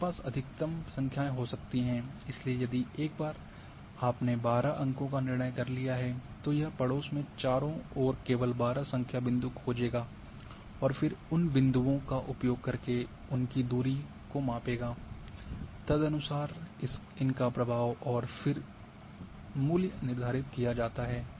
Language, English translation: Hindi, You can have either maximum number of points, so once a if you have decided 12 number of points then it will search only 12 number points in the neighbourhood all around and then use those points measure their distance and accordingly the influence and then value is determined